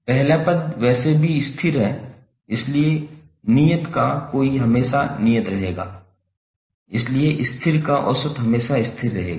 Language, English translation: Hindi, First term is anyway constant, so the average of the constant will always remain constant